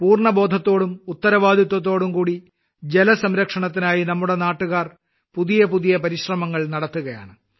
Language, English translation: Malayalam, Our countrymen are making novel efforts for 'water conservation' with full awareness and responsibility